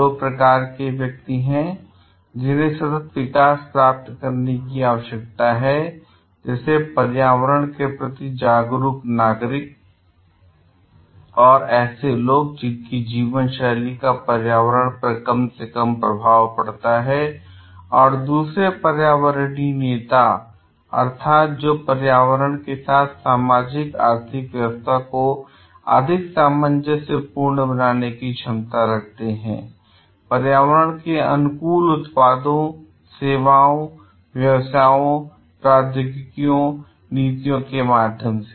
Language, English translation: Hindi, So, there are two types of people who are required to attain sustainable development, like environmentally conscious citizens, people whose lifestyles have a minimal effect of environment and environmental leaders means who have the ability to make the socioeconomic system more harmonious with the environment, through environmentally friendly products, services, businesses, technologies and policies